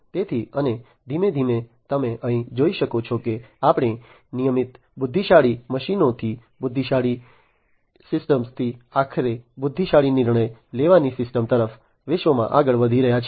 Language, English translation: Gujarati, So, and gradually as you can see over here we are moving to the world from regular intelligent machines to intelligent systems to ultimately intelligent decision making systems